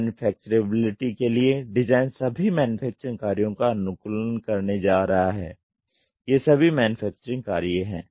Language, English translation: Hindi, Design for manufacturability is going to optimize all the manufacturing functions, these are all the manufacturing functions